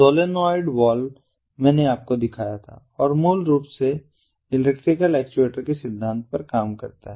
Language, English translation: Hindi, i showed you one of the actuators, the solenoid valve i had shown you, and this basically works on the principle of electrical actuator